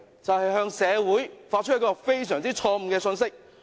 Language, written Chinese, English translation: Cantonese, 就是向社會發出一個非常錯誤的信息。, This will convey an extremely wrong message to society